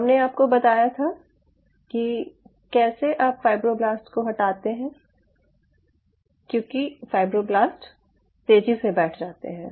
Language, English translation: Hindi, i told you how you are removing the fibroblasts, because the fibroblasts will be settling down faster